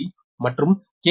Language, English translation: Tamil, four k v and x g